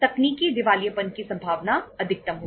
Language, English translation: Hindi, The possibility of technical insolvency will be maximum